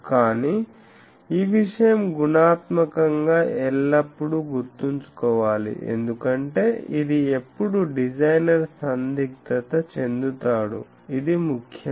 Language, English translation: Telugu, But this thing qualitatively remember always because, this is the dilemma in which a designer always sees so, this is important